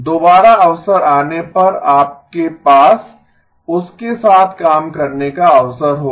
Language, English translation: Hindi, Again as opportunity comes you will have an opportunity to work with that okay